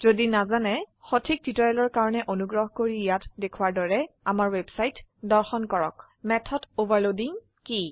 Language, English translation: Assamese, If not, for relevant tutorials please visit our website which is as shown, (http://www.spoken tutorial.org) What is method overloading